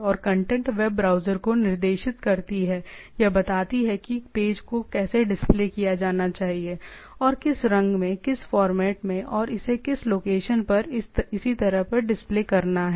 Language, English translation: Hindi, And the content the tag dictates or tells the web browser that how the page need to be displayed, and in which colour, which format and how it need to be displayed which location and so on and so forth